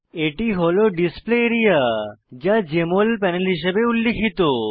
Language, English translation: Bengali, Here is the Display area, which is referred to as Jmol panel